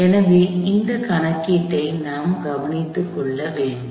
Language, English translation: Tamil, So, if I take care of this calculation